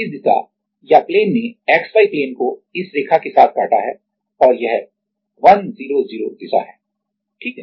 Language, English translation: Hindi, This direction or the plane has cut the XY plane in along this line right and this is 100 direction this is 100 direction, right